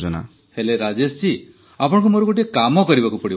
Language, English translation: Odia, But see Rajesh ji, you do one thing for us, will you